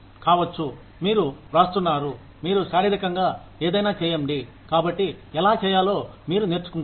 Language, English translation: Telugu, May be, you are writing, you are doing something physical, so, you learn, how to do it